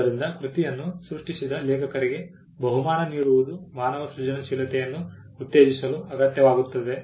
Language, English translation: Kannada, So, rewarding the author for the creating creation of the work was essential for promoting human creativity